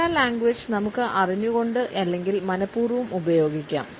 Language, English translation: Malayalam, Paralanguage can be used intentionally also